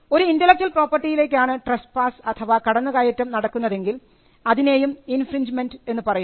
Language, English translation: Malayalam, When trespass happens on an intellectual property then we call that by the word infringement